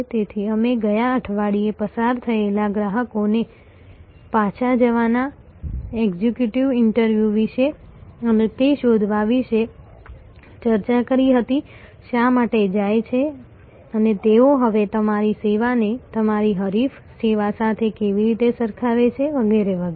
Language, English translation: Gujarati, So, we discussed last week about exit interviews going back to passed customers and finding out, why the left and how are they now comparing your service with your competitor service and so on